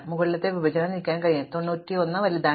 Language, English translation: Malayalam, On the other hand, the upper partition can move, because 91 is bigger